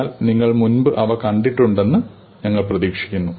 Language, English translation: Malayalam, But we do expect that you have seen them before